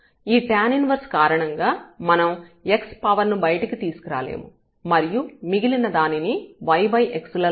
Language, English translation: Telugu, Because of this tan inverse we cannot bring x power something and the rest we cannot write in terms of y over x